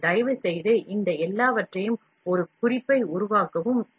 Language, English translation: Tamil, So, please make a note of all these things, these are the limitations